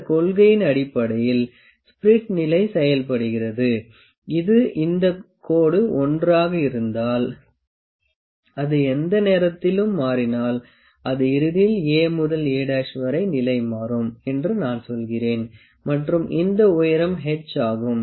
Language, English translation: Tamil, Based on this principle the spirit level works, and this if this is line l and it changes at any point let me say at the end it changes it is position from A to A dash